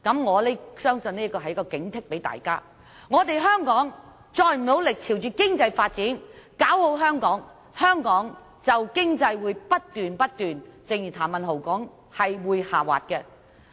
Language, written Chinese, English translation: Cantonese, 我相信這是警惕大家，如果香港再不努力專注經濟發展，搞好香港，香港經濟便會如譚文豪議員所說不斷下滑。, I believe Mr TAM is only trying to warn us that if we do not focus on developing our economy and making Hong Kong a better place the economic situation will worsen